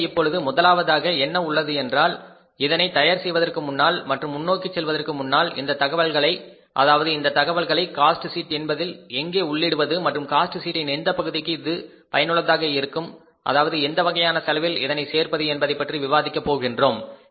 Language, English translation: Tamil, So now we have first before say preparing it and going forward let us discuss this information that where this information could be put into the cost sheet and which part of the cost sheet it can be useful to say include in the which type of the cost